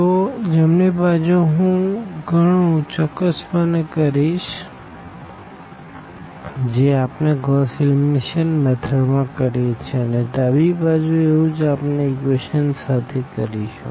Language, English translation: Gujarati, So, the right hand side here I will be basically doing precisely what we do in Gauss elimination method and the left hand side we will be doing the same thing with the equations directly